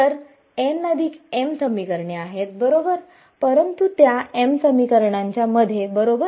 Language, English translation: Marathi, So, n plus m equations right, but in m of those equations right